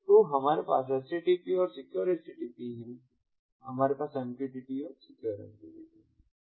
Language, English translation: Hindi, so we have http, secure http, we have mqtt, secure mqtt